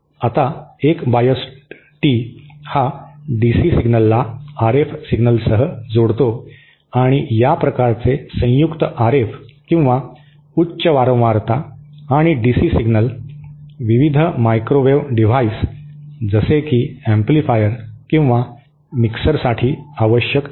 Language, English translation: Marathi, Now, a biased tee is one which combines DC signal with RF signal and this kind of combined RF and or high frequency and DC signal is necessary for various microwave devices like amplifiers or Mixers